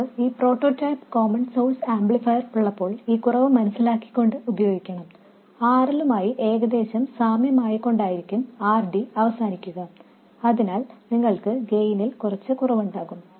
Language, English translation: Malayalam, When we have this prototype common source amplifier, we have to live with this shortcoming and this RD usually will end up being comparable to RL, so you will have some reduction in gain